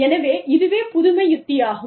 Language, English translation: Tamil, So, that is innovation strategy